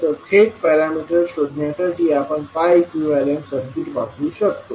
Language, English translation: Marathi, We can use the pi equivalent circuit to find the parameters directly